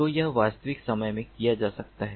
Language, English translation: Hindi, so that can be done in real time